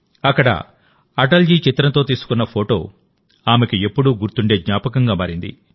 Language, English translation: Telugu, The picture clicked there with Atal ji has become memorable for her